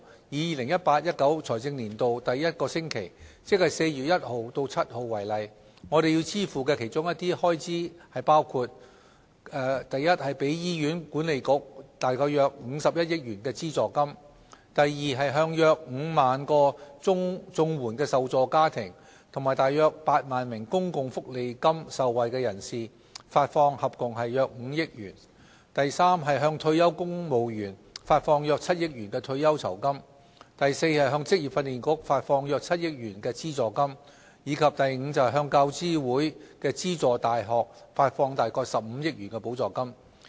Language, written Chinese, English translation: Cantonese, 以 2018-2019 財政年度第一個星期，即4月1日至7日為例，我們要支付的其中一些開支包括： a 給予醫院管理局約51億元的資助金； b 向約5萬個綜援受助家庭及約8萬名公共福利金受惠人士發放合共約5億元； c 向退休公務員發放約7億元退休酬金； d 向職業訓練局發放約7億元資助金；及 e 向大學教育資助委員會資助大學發放約15億元補助金。, Taking the first week between 1 April and 7 April of the 2018 - 2019 financial year as an example numerous government expenditure items to be settled during the week include a subvention payments of around 5.1 billion to the Hospital Authority; b payments for the Comprehensive Social Security Assistance and Social Security Allowance totalling around 500 million to about 50 000 families and 80 000 individuals respectively; c pension gratuities of around 700 million to retired civil servants; d subvention payments of around 700 million to the Vocational Training Council; and e grants of around 1.5 billion to University Grants Committee - funded universities